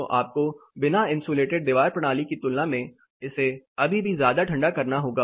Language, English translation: Hindi, So, you will have to still be cooling it down much more than what you will do for an uninsulated wall system